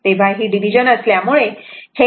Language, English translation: Marathi, So, it is division so, e to the power j theta 1 minus theta 2, right